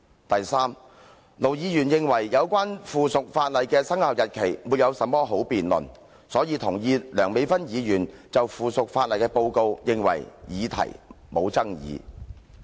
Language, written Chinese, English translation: Cantonese, 第三，盧議員認為，有關附屬法例的生效日期沒有甚麼好辯論，所以同意梁美芬議員就附屬法例所作的報告，認為議題沒有爭議性。, Third Ir Dr LO thought that there was not much to discuss about the commencement date of the subsidiary legislation so he endorsed Dr Priscilla LEUNGs report on the subsidiary legislation and considered that the issue was not controversial